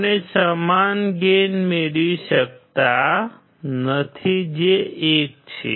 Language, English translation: Gujarati, We cannot have same gain which is 1